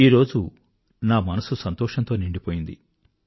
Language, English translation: Telugu, My heart is filled to the brim with joy today